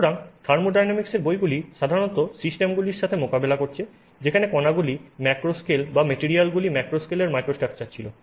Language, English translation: Bengali, So, therefore the books in thermodynamics have typically you know dealt with systems where particles were in the macro scale or materials had microstructure at the macro scale